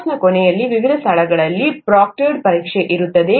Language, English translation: Kannada, At the end of the course, there will be a proctored exam in different locations